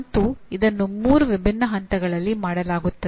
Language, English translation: Kannada, And this is done at three, there are three different levels